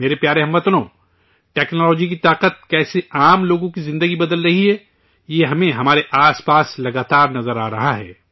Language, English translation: Urdu, My dear countrymen, how the power of technology is changing the lives of ordinary people, we are constantly seeing this around us